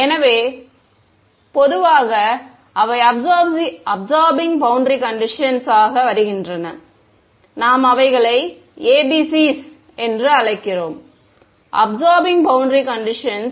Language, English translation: Tamil, So, absorbing boundary conditions in general, so they come in so, we call them ABCs Absorbing Boundary Conditions ok